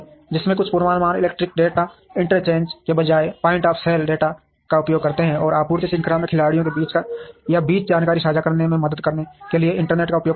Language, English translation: Hindi, Some of which are use point of sale data, rather than forecasts, electronic data interchange, and use the internet to help in sharing information between or among the players in the supply chain